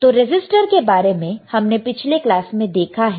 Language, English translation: Hindi, So, resistor we have seen in the last class resistor, right